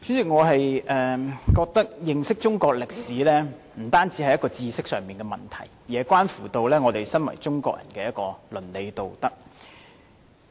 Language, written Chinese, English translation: Cantonese, 我覺得認識中國歷史，不單是知識上的問題，亦關乎我們身為中國人的倫理道德。, In my view our understanding of Chinese history is not only restricted to the knowledge level it also relates to our moral and ethics as Chinese